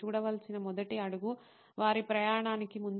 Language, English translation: Telugu, The first step to see is before their journey